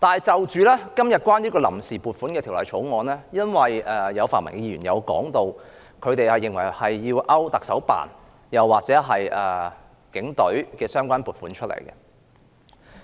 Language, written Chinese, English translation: Cantonese, 就今天的臨時撥款決議案，有泛民議員認為要刪除行政長官辦公室或警隊的相關撥款。, As for the Vote on Account Resolution today some pan - democratic Members hold that the expenditure of the Chief Executives Office or the Police Force must be cut